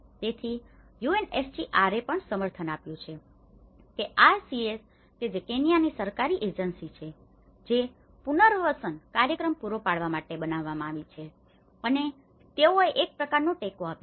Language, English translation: Gujarati, So, UNHCR have also supported that the KRCS which is the Kenyan Government Agency, which has been constituted to provide the resettlement program and they have given some kind of support